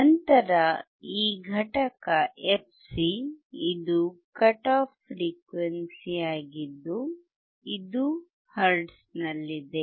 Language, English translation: Kannada, Then this component fc is your cut off frequency in hertz